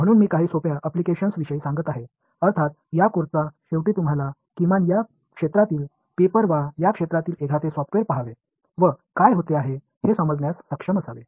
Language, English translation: Marathi, So, some simple applications I will tell you about at the end of this course you should be able to at least read the papers in this area or look at a software in this area and understand what is happening